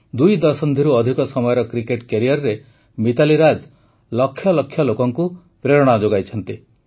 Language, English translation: Odia, Mitali Raj ji has inspired millions during her more than two decades long career